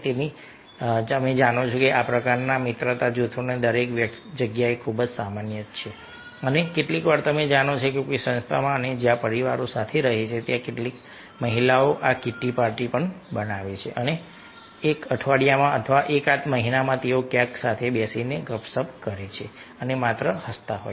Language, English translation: Gujarati, so these kind of you know, friendship groups are very common everywhere and some, sometimes, you know, in some organization and where families are staying together, some ladies form this kitty party and in a week or in a month they sit together somewhere and chit, chat and just, ah, laugh and enjoy party